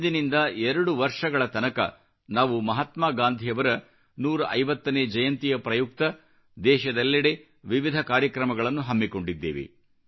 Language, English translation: Kannada, For two years from now on, we are going to organise various programmes throughout the world on the 150th birth anniversary of Mahatma Gandhi